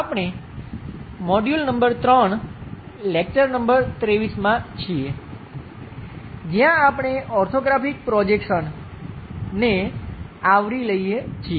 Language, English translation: Gujarati, We are in module number 3, lecture number 23, where we are covering Orthographic Projections